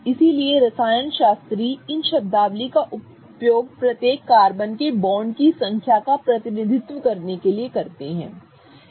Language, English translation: Hindi, So, chemists use these terminologies to represent the number of bonds each carbon is forming